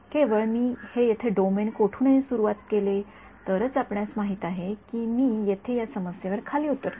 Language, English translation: Marathi, Only if I start somewhere in you know roughly this domain over here then will I land up at this problem over here